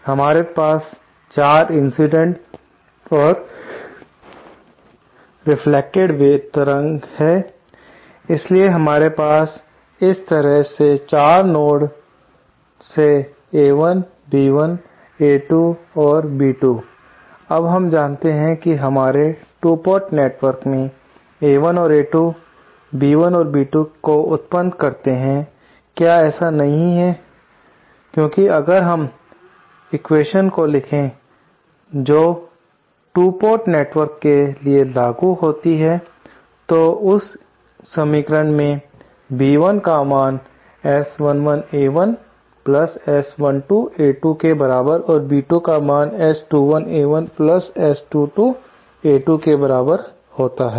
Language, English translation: Hindi, Now, we know that A1 and A2 give rise to B1 and B2 as described in our 2 port network, is not it because if we write down the equations as applicable to just this 2 port network, the equations are as B1 is equal to S11 A1 + S12 A2 and B2 is equal to S21 A1 + S22 A2